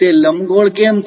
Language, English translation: Gujarati, Why it is ellipse